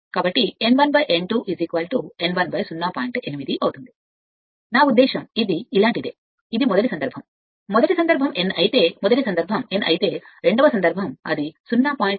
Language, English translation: Telugu, 8, I mean I mean, it is it is something like this, it is first case, if first case if it is n, first case if it is n then second case, it is 0